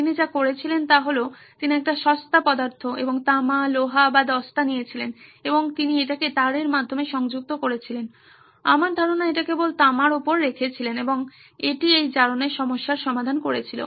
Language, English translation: Bengali, What all he did was he took a cheaper substance and copper, iron or zinc and he connected it through wires I guess, to or just put place it on top of the copper and it took care of this corrosion problem